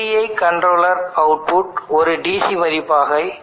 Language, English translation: Tamil, The output of PI controller this will be a DC value